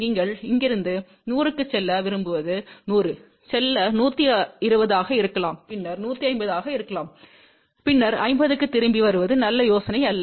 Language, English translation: Tamil, What you like to go from here 100, go to may be 120 , then may be some 150 and then come back to 50 not a good idea